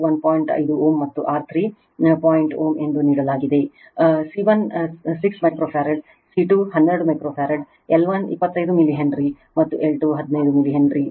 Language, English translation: Kannada, 5 ohm, and R 3 is equal to point ohm; C1 6 microfarad, and C 2 12 microfarad, L 1 25 milli Henry, and L 2 15 milli Henry